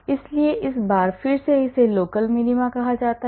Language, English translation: Hindi, So, again once more this is called the local minima